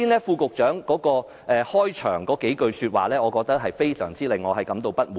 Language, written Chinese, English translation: Cantonese, 副局長剛才發言中的開首數句說話，令我尤其感到不滿。, I am especially dissatisfied with the beginning sentences of the Under Secretarys speech just now